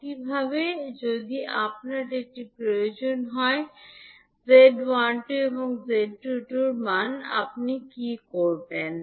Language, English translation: Bengali, Similarly, if you need to find the value of Z12 and Z22, what you will do